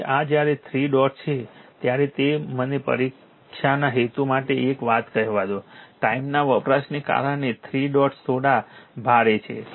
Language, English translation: Gujarati, Now this one, when 3 dots are 3 dots let me tell you one thing for the exam purpose, 3 dots are little bit heavy because of time consumption right